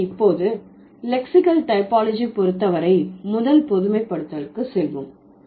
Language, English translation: Tamil, So, now let's go to the first generalization as far as lexical typology is concerned